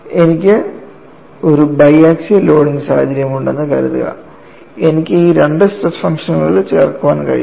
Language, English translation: Malayalam, Suppose, I have a bi axial loading situation, I can add these two stress functions